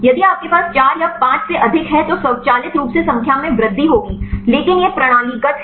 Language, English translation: Hindi, If you enormous 4 or 5 then automatically the number will increase, but this is systemic